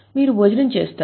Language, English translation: Telugu, You will have lunch